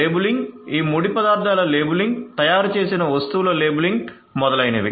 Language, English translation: Telugu, Labeling; labeling of these raw materials labeling of the manufactured goods etcetera